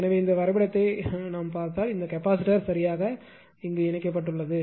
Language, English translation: Tamil, So, actually if you look at the diagram this I dash this capacitor is connected right